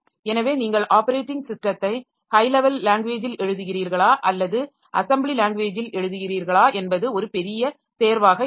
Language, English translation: Tamil, So, it should be easy to design the system like whether you write the operating system in high level language or the assembly language that is a big choice